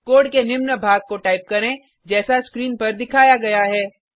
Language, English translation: Hindi, Type the following piece of code as displayed on the screen